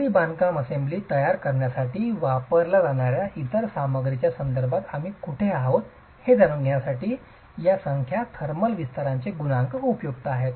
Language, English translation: Marathi, The coefficiental thermal expansion, these numbers are useful to know where we stand with respect to other materials that are used to create the masonry assembly